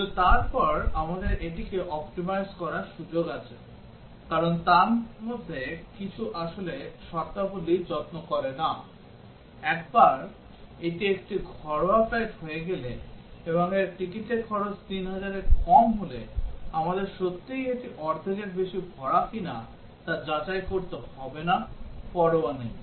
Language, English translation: Bengali, But then we have a scope to optimize this, because some of these are actually do not care terms; once it is a domestic flight, and its ticket cost is less than 3000, we do not have to really check whether it is more than half full or not, becomes a do not care